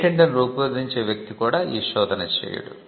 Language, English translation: Telugu, It is not the person who drafts the patent who does the search